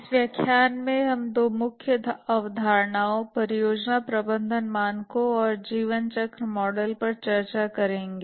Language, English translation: Hindi, In this lecture, we'll discuss two main concepts, the project management standards and the lifecycle models